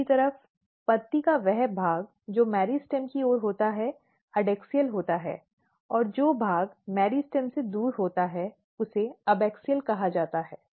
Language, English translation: Hindi, On the other hand if you look the leaf so, the leaf which is towards the meristem is a kind of adaxial and the portion which is away from the meristem is called abaxial